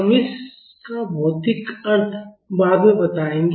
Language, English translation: Hindi, We will explain the physical meaning of it later